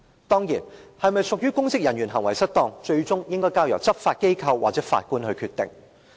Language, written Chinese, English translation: Cantonese, 當然，是否屬於公職人員行為失當，最終應該交由執法機構或法官來決定。, Of course whether this can be considered misconduct in public office will ultimately be decided by law enforcement agency or by a judge